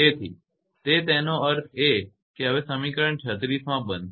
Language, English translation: Gujarati, So, that; that means, that in equation 36 becomes now